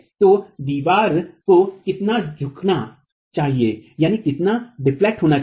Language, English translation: Hindi, So, how much should the wall deflect